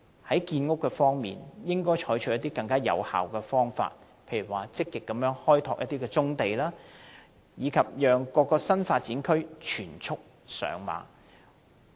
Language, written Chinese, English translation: Cantonese, 在建屋方面，政府應採取更有效的方法，例如積極開拓棕地，令各個新發展區全速上馬。, Regarding construction of housing the Government should adopt more effective means such as taking the initiative to develop brownfield sites to accelerate the development of various new development areas